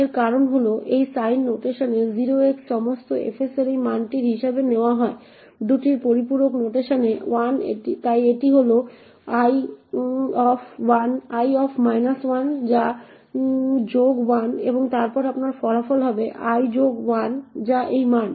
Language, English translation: Bengali, The reason for this is that in sign notation this value of 0x all fs is taken as minus 1 in two's complement notation therefore it is l minus of minus 1 which is plus 1 and therefore your result would be l plus 1 which is this value